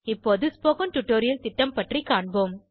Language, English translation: Tamil, I will now talk about the spoken tutorial project